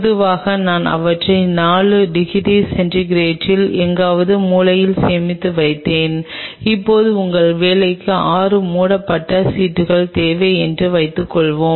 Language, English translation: Tamil, Generally, I used to store them in 4 degrees centigrade somewhere in the corner now suppose today you need 6 covered slips for your work